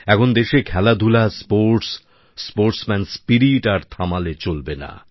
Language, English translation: Bengali, In the country now, Sports and Games, sportsman spirit is not to stop